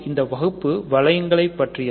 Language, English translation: Tamil, So, this course is about rings ok